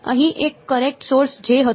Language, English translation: Gujarati, There was a current source J over here